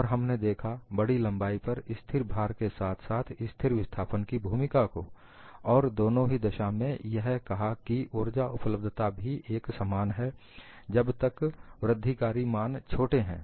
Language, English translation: Hindi, And we have looked at great length, the role of constant load as well as constant displacement, and said, in both the cases, the energy availability is same as long as the incremental values are small